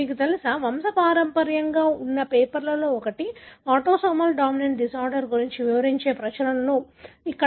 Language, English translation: Telugu, This, you know, pedigree that is from one of the papers, publications describing an autosomal dominant disorder, right